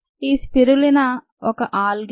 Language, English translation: Telugu, spirulina is an algae